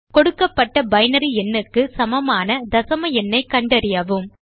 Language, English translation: Tamil, Given a binary number, find out its decimal equivalent